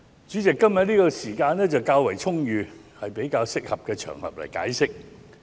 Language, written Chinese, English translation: Cantonese, 主席，今天的時間較為充裕，是一個較適合作解釋的場合。, President I have quite ample time today and I think this is a suitable occasion for offering an explanation